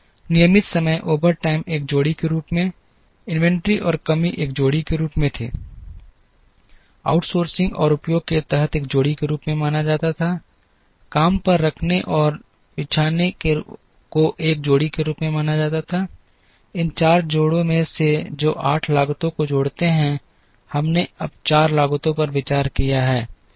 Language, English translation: Hindi, Regular time overtime as one pair, inventory and shortage was as a pair, outsourcing and under utilization was considered as a pair, hiring and laying off was considered as a pair, out of these four pairs which add up to 8 cost, we have now considered four cost